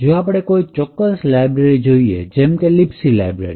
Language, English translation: Gujarati, Let us take for example the library, the Libc library